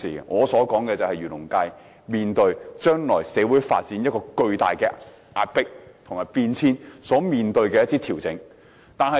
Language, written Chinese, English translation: Cantonese, 我所說的是，漁農界面對將來社會發展帶來巨大壓迫和變遷所面對的一些調整。, In the face of social development the agriculture and fisheries industry is under tremendous pressure to adjust itself and adapt to the changes